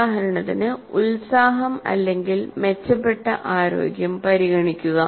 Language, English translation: Malayalam, For example, enthusiasm or better health